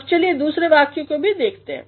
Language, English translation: Hindi, You can also have a look at the other sentence